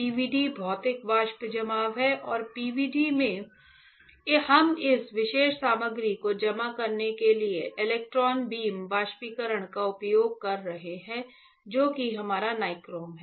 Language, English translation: Hindi, PVD is Physical Vapor Deposition and in PVD, we are using electron beam evaporation to deposit this particular material which is our nichrome alright